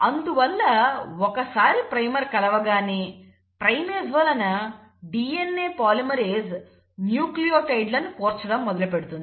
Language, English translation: Telugu, So this primer now acts as the base on which the DNA polymerase can start adding the nucleotides